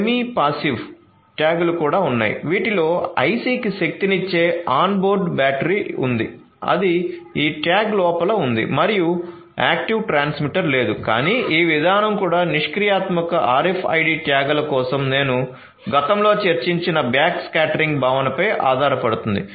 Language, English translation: Telugu, So, there are semi passive tags as well which has an onboard battery to power the IC, that is embedded that is inside these tags and there is no active transmitter, but this mechanism also relies on backscattering concept that I discussed previously for the passive RFID tags